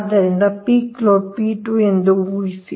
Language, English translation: Kannada, so this is peak load, p two